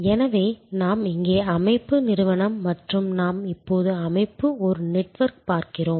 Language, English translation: Tamil, So, we have here the organization, the firm and we are now looking at the organization is a network